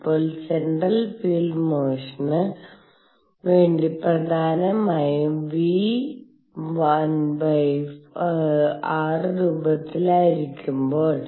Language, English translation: Malayalam, Now, for central feel motion mainly when v is of the form 1 over r